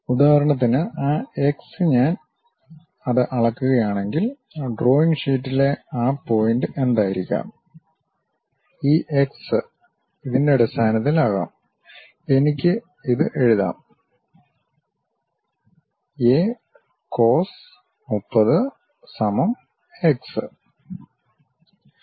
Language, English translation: Malayalam, So, for example, that x information if I am measuring it; what might be that point on the drawing sheet, this x can be in terms of, I can write it A cos 30 is equal to x